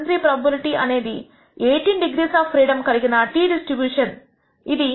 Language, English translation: Telugu, 73 the probability that a t distribution with 18 degrees of freedom is greater than this minus 1